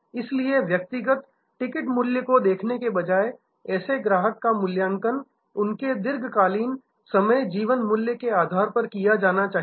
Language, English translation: Hindi, Therefore, instead of looking at individual ticket value, such customer should be evaluated on the basis of their long term life time value